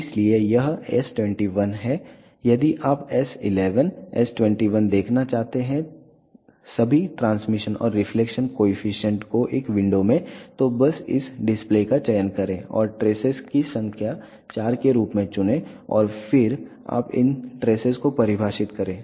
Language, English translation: Hindi, If you want to see s 11, s 21 all the transmission and reflection coefficient in one window then just select this display and select the number of traces s 4 and then you define these stresses